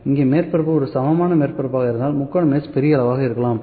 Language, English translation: Tamil, Here, if it is kind of a plane surface, if it is a kind of a plane surface here so whether triangle can be of bigger size